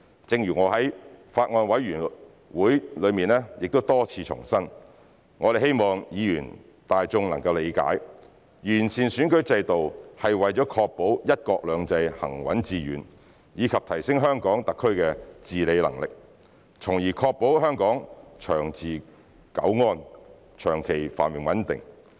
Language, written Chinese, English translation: Cantonese, 正如我在法案委員會多次重申，我們希望議員、大眾理解，完善選舉制度是為了確保"一國兩制"行穩致遠，以及提升香港特區的治理能力，從而確保香港長治久安，長期繁榮穩定。, As I have repeatedly reiterated in the Bills Committee we hope that Members and the general public would understand that improving the electoral system is for guaranteeing the sound and sustained implementation of the one country two systems principle and enhance the governance capability of the HKSAR so as to safeguard the long - term stability and prosperity of Hong Kong